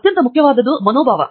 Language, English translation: Kannada, What is most important is attitude